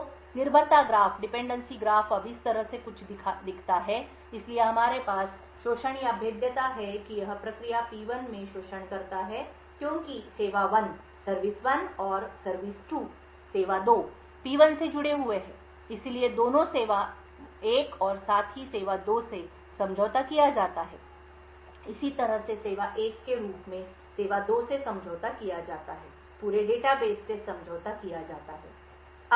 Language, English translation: Hindi, So the dependency graph now looks something this way so we have an exploit or a vulnerability that it exploit in the process P1 since service 1 and service 2 are connected to P1 therefore both the service 1 as well as service 2 are compromised, similarly since the service 1 as service 2 is compromised the entire data base is compromised